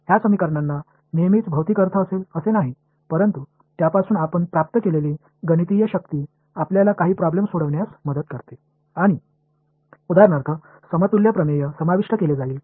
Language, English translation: Marathi, Those equations may not always have a physical meaning, but the mathematical power that we get from it helps us to solve some problems and that will be covered in for example, in the equivalence theorems right